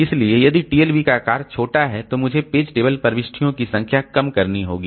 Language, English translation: Hindi, So if the TLB size is small, then I have to make the number of page table entries less